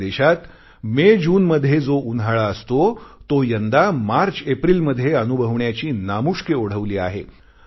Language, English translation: Marathi, The heat that we used to experience in months of MayJune in our country is being felt in MarchApril this year